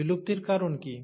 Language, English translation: Bengali, What is the cause of extinction